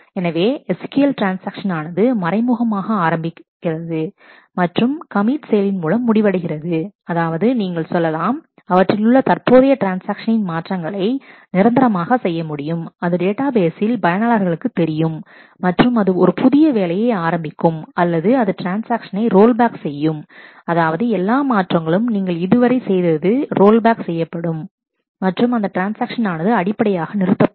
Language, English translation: Tamil, So, a transaction in SQL typically begins implicitly and, it ends by a commit work which says that let us, you commit the current transaction that is make all the changes permanent, in the database make it visible to the user and begin a new work, or it could roll back the transaction which means that all the changes that you had done are rolled back and the transaction basically aborts